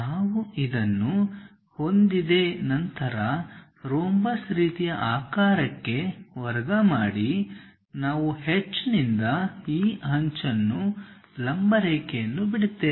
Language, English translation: Kannada, Once we have this, square into a rhombus kind of shape we have this edge from H drop a perpendicular line